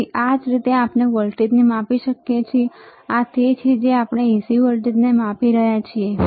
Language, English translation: Gujarati, So, this is how we can measure the voltage, this is what we are measuring AC voltage